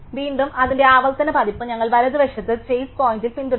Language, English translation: Malayalam, And again iterative version of the same, we just follow chase point as to the right